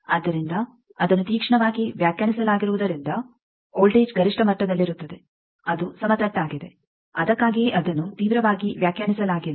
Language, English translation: Kannada, So, because it is sharply defined the voltage is at the maxima, it is flat that is why it is not, sharply defined